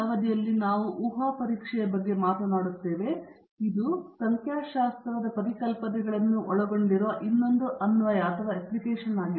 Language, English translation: Kannada, Now, we will be coming to Hypothesis Testing, which is another application involving these statistical concepts